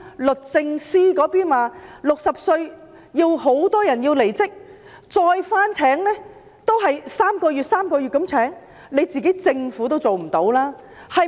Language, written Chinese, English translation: Cantonese, 律政司在報章上說很多60歲的人要離職，只是以3個月合約的形式重新聘用。, The Department of Justice told the newspaper that many officers aged 60 had to leave the service and they could only be re - employed on three - month contracts